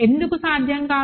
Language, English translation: Telugu, Why is it not possible